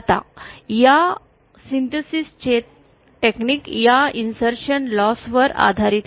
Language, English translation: Marathi, Now the technique for this synthesis is based on this insertion loss